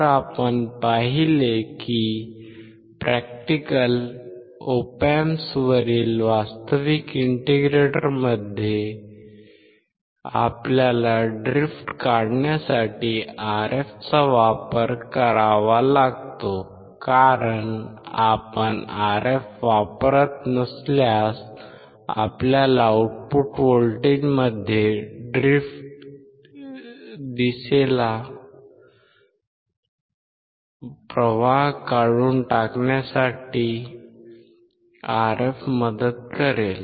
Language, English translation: Marathi, So, we have seen that in the actual integrator on the practical Op Amps we have to use the Rf to remove the drift we have seen that because if you do not use Rf, then we will see the drift in the output voltage and to remove this drift the Rf would help